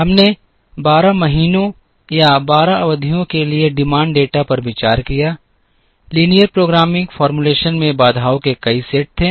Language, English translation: Hindi, We considered demand data for 12 months or 12 periods, the linear programming formulation had several sets of constraints